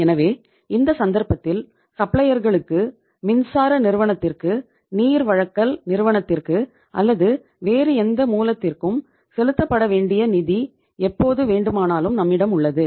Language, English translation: Tamil, So in that case anytime any funds becoming due to be paid to the suppliers, to the electricity company to water supply company or to any other source, we have the funds available